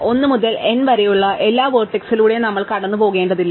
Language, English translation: Malayalam, We do not have to go through every vertex 1 to n